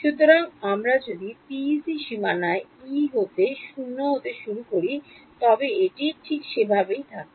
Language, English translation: Bengali, So, if we initialize E to be 0 on the PEC boundary it stays that way right